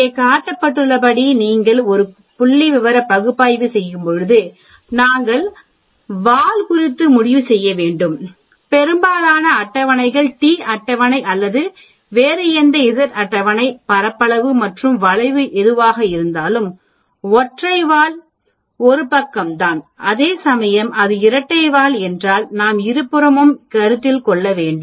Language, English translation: Tamil, That is a very important when you do a statistical analysis as is showed here, we need to decide on the tail because most of the tables whether it is the t table or any other z table, area and the curve which a single tail is only 1 side, whereas if it is a double tail we need to consider both the sides of that area, if you remember that very clearly in our previous lectures